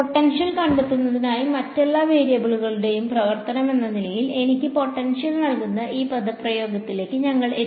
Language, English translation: Malayalam, In order to find the potential, we have come to this expression over here which gives me the potential as a function of all the other variables